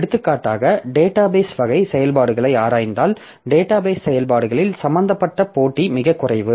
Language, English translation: Tamil, For example, if we look into the database type of operations, then the computation that is involved is very less